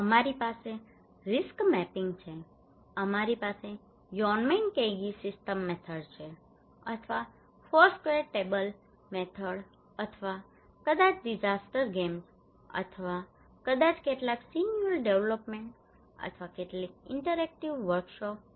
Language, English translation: Gujarati, We have risk mapping, we have Yonnmenkaigi system method or Foursquare table method or maybe disaster games or maybe some scenario development or some interactive workshops